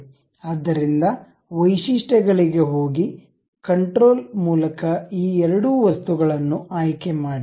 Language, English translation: Kannada, So, go to features, select these two things by control object